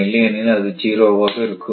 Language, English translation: Tamil, So, in that case it is 0